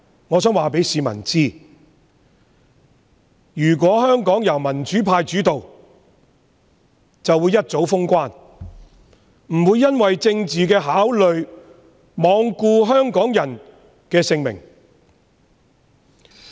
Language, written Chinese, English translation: Cantonese, 我想告訴市民，如果香港由民主派主導，便早已封關，不會因為政治考慮而罔顧香港人的性命。, I would like to tell members of the public that if Hong Kong was led by the pro - democracy camp the boundary control points would have been closed long ago . Political consideration would not be placed over Hong Kong peoples lives